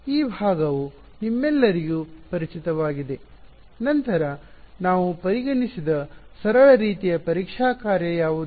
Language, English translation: Kannada, So, this part is sort of familiar to all of you right; then, what was the simplest kind of testing function that we considered